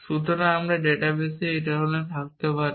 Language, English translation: Bengali, So, I could have this kind of database